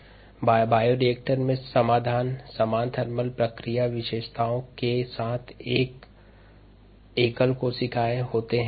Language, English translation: Hindi, the solution in the bioreactor consist of single cells with similar thermal response characteristics